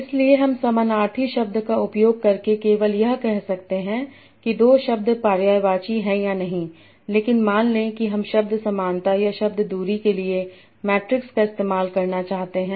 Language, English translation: Hindi, So by using synonymy I can only say whether the two words are synonymous or not but suppose I want to lose a metric for word similar idea of word distance